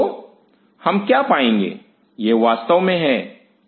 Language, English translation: Hindi, So, what we will observe is and this is the of course, the acidic side